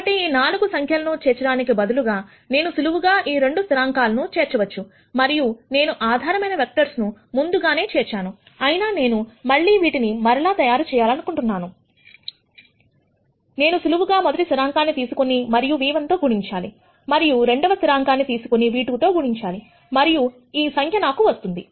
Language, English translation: Telugu, So, instead of storing these 4 numbers, I could simply store these 2 constants and since I already have stored the basis vectors, whenever I want to reconstruct this, I can simply take the first constant and multiply v 1 plus the second constant multiply v 2 and I will get this number